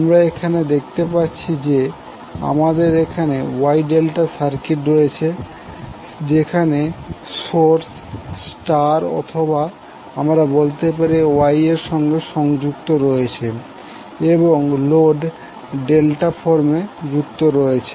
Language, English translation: Bengali, So you will see there we have wye delta circuits where the source is connected in star or you can say wye and load is connected in delta form